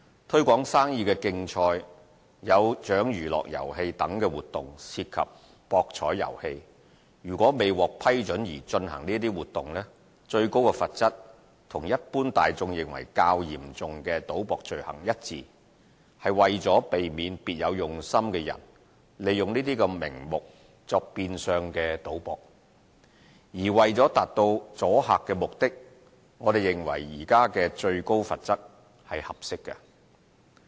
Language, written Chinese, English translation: Cantonese, "推廣生意的競賽"、"有獎娛樂遊戲"等活動涉及博彩遊戲，如未獲批准而進行這些活動，最高罰則與一般大眾認為較嚴重的賭博罪行一致，是為了避免別有用心的人利用這些名目作變相賭博；而為了達到阻嚇目的，我們認為現時的最高罰則是合適的。, Activities such as Trade Promotion Competitions and Amusements with Prizes involve gaming holding of which without permission is liable for the same maximum penalties as those gambling crimes which are perceived as more serious by the general public . Such arrangement is to deter people with ulterior motives from making use of these items to pursue gambling activities in disguise and we consider the existing penalties as appropriate